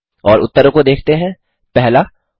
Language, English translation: Hindi, And will look at the answers, 1